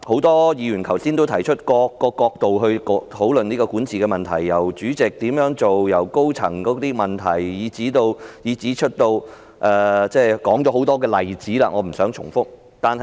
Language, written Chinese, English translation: Cantonese, 多位議員剛才從不同角度討論管治問題，例如港鐵公司主席的責任、高層問題，以至其他多個例子，我不想重複。, Just now many Members discussed governance problems from various angles such as the duties of the MTRCL Chairman and also problems with its management while also citing many other examples . I do not intend to repeat them